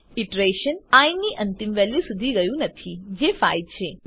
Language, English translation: Gujarati, The iteration is not carried out till the last value of i, namely 5